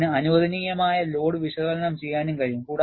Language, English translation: Malayalam, In addition to this, it also provides allowable load analysis